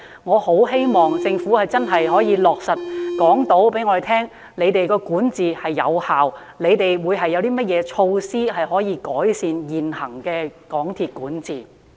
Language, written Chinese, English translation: Cantonese, 我十分希望政府能夠真正告訴我們，港鐵公司的管治是有效的，以及有何措施能夠改善其現行的管治。, I very much hope that the Government can truly tell us the governance of MTRCL is effective and the measures it has to improve its present governance